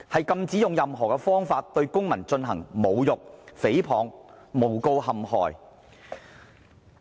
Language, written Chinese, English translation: Cantonese, 禁止用任何方法對公民進行侮辱、誹謗和誣告陷害。, Insult libel false accusation or false incrimination directed against citizens by any means is prohibited